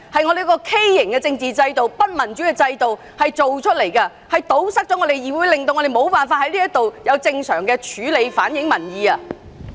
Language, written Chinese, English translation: Cantonese, 我們畸形的政治制度、不民主的制度，令議會反映民意的渠道被堵塞，民意無法在議會得到正常處理。, Our distorted and undemocratic political system has blocked every channel in this legislature for peoples views to get heard making it impossible for the legislature to address public sentiments properly